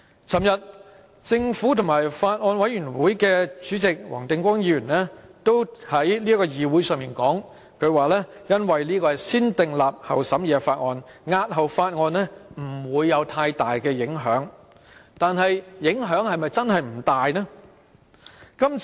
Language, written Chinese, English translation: Cantonese, 昨天，政府當局和法案委員會主席黃定光議員在議會上說，因為這是一項"先訂立後審議"的法例，將之押後不會有太大影響，但影響真的不大嗎？, Yesterday government official and Chairman of the Bills Committee Mr WONG Ting - kwong said at the Council meeting that since the Bill was subject to negative vetting postponing the scrutiny would not have much effect . Is that true?